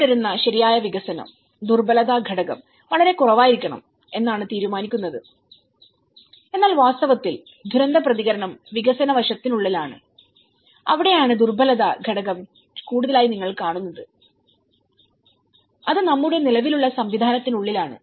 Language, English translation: Malayalam, The development used to follow, right and then supposedly, the vulnerability factor should be very less but in reality, the disaster response is within the development aspect, that is where you see the vulnerability factor is more, it is within our existing system